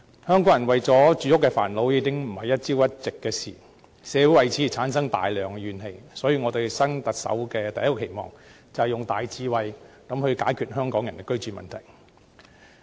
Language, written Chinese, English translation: Cantonese, 香港人為住屋煩惱，已非一朝一夕的事情，社會為此產生大量怨氣，所以我對新任特首的第一個期望，是要用大智慧解決香港人的居住問題。, It is not something new that Hong Kong people are deeply troubled by the problem of housing and social grievances thus accumulated have intensified . Hence my first expectation for the new Chief Executive is to solve the housing problem faced by Hong Kong people with great wisdom